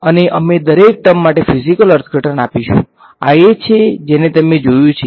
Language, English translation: Gujarati, And we will give a physical interpretation to every term; this thing is something that you have not encountered